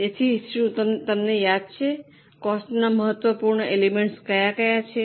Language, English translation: Gujarati, So, do you remember now what are the important elements of cost